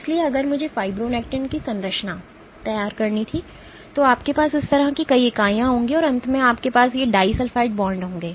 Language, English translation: Hindi, So, if I were to draw the structure of fibronectin so you will have multiple units like this and at the end you have these disulfide bonds